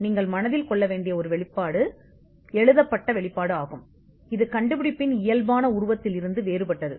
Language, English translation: Tamil, A disclosure you have to bear in mind, is a written disclosure which is different from the physical embodiment of the invention itself